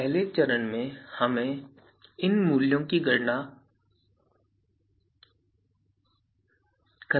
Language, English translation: Hindi, So, first step we need to compute these values